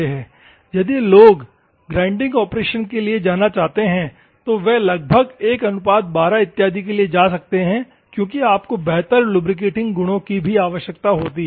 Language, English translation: Hindi, If at all people want to go for the grinding operation, they can go approximately 1 is to 12 or something because you require better lubricating properties also